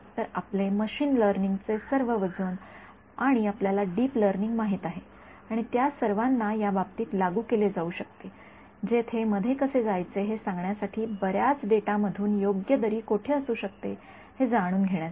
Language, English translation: Marathi, So, all your weight of machine learning and you know deep learning and all of that can be applied to this to try to learn where might be the correct valley from a lot of data to tell you where to land up in ok